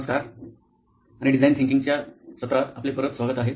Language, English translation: Marathi, Hello and welcome back to design thinking